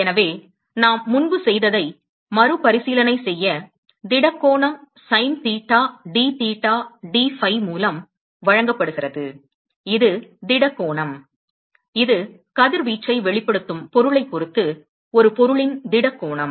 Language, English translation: Tamil, So, just to recap of what we did before, the solid angle is given by sin theta dtheta dphi that is the solid angle, this is the solid angle of an object with respect to the object which is the emitting radiation